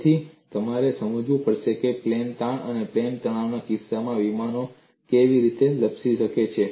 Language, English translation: Gujarati, So, you have to understand how slipping of planes can happen in the case of plane strain and plane stress